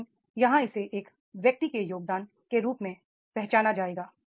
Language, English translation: Hindi, But here in it is the, it will be recognized as an individual's contribution